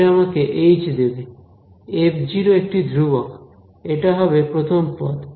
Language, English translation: Bengali, So, this will give me a h, f naught is a constant that is the first term